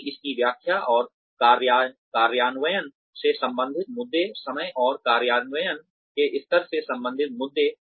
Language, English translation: Hindi, Because of, issues related to its interpretation and implementation, issues related to time and level of implementation